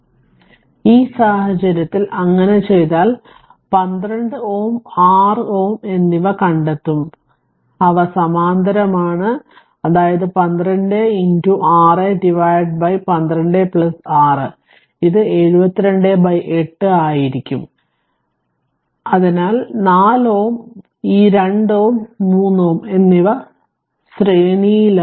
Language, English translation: Malayalam, So, in this case if you do so, then you will find 12 ohm and 6 ohm, they are in parallel so; that means, 12 into 6 by 12 plus 6 so, it is 72 by 8 so, 4 ohm with that this 2 ohm and 3 ohm are in series